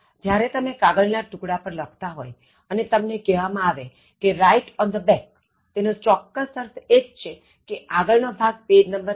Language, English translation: Gujarati, So, when you are writing on a piece of paper and you are asked to write on the back, it exactly means front side, back side, page number 1, 2